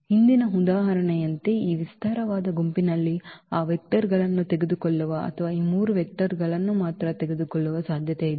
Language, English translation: Kannada, Like in the earlier example we have possibility in this spanning set taking all those 4 vectors or taking only those 3 vectors